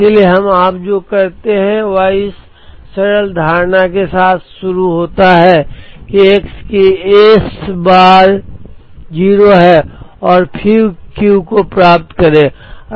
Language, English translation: Hindi, So what we do is we start with the simple assumption that S bar of x is 0 and then get Q